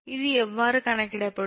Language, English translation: Tamil, all can be computed